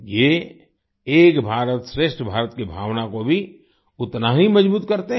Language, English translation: Hindi, They equally strengthen the spirit of 'Ek BharatShreshtha Bharat'